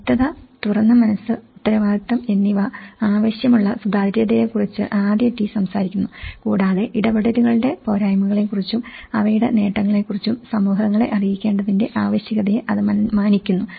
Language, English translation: Malayalam, The first T talks about the transparency which requires clarity, openness, accountability and it respects a need for communities to be informed about the drawbacks of interventions as well as their benefits